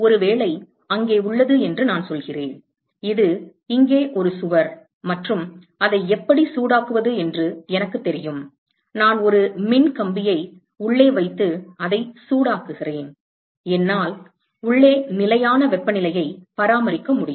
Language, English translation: Tamil, Supposing, I say that there is a; this a wall here and I know how to heat it I put an electrical wire inside and heat it, I can maintain a constant temperature inside